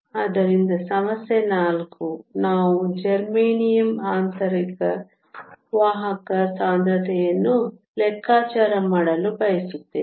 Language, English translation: Kannada, So, problem 4 we want to calculate the intrinsic carrier concentration of germanium